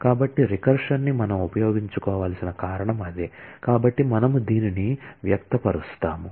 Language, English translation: Telugu, So, that is the reason we need to make use of the recursion and so, this is how we express it